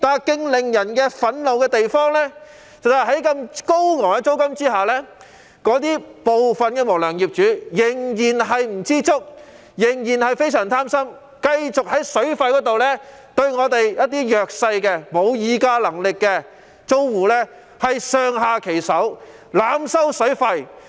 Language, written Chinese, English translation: Cantonese, 更令人憤怒的是，在租金高昂的情況下，部分無良業主仍然貪得無厭，繼續在水費方面對沒有議價能力的弱勢租戶上下其手，濫收水費。, What is more infuriating is that while rents have remained exorbitant some unscrupulous landlords with an insatiable appetite for more money in the form of water fees have even tried to exploit those disadvantaged tenants without any bargaining power by overcharging them for the use of water